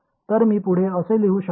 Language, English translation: Marathi, So, I can further write this as